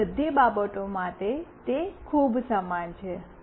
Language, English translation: Gujarati, For all other things, it is pretty similar